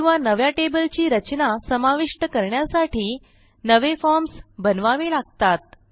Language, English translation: Marathi, Or we can build new forms to accommodate new table structures